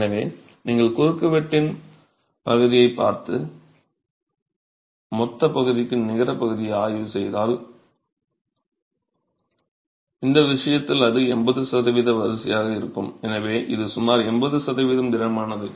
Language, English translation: Tamil, So, if you were to look at the area of cross section and examine the net area to the gross area, in this case it would be of the order of 80%